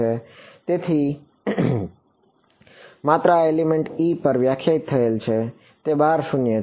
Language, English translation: Gujarati, So, this is defined only over element e and it is zero outside